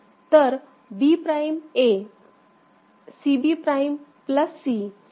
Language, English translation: Marathi, So, B prime A; C B prime plus C A